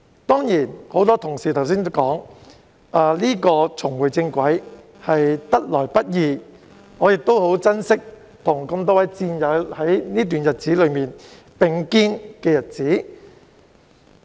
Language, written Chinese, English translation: Cantonese, 多位同事剛才提及，重回正軌是得來不易的，我亦很珍惜期間與多位戰友並肩的日子。, As rightly said by many Members just now it is not easy for us to get back on track and I also cherish the days I spent with my comrades during this period